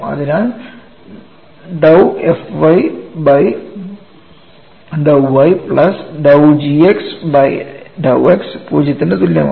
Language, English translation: Malayalam, So, I will have to evaluate one half of dou u by dou y plus dou v by dou x